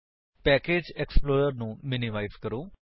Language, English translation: Punjabi, Let us minimize the package explorer